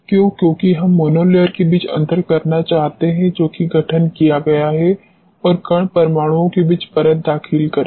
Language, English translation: Hindi, Why because, we want to differentiate between the monolayer which has been formed and enter layer between the particle atoms